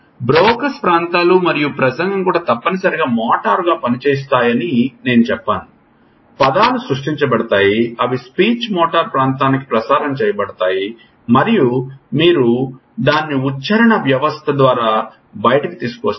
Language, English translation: Telugu, Again this is again as I said Brocas areas and speech also motor act essentially, words are created, they are transmitted to the speech motor area and then you bring it out through articulatory system